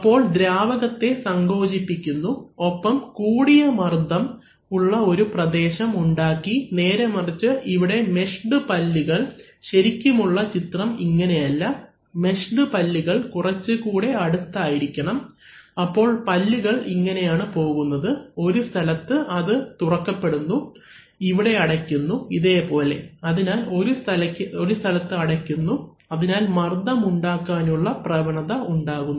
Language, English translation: Malayalam, So here if they are compressing the fluid and some high pressure region is created, on the other hand here the meshed teeth, the actual drawing is not, actually there has to be much closer meshing of the teeth, so here this, this teeth are actually going away, so they are opening up in one place, they are closing, their like this, like this, so in one place they are closing so when they are closing they are there they have a tendency of creating a pressure